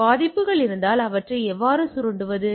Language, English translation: Tamil, So, if the vulnerability is there how to exploit them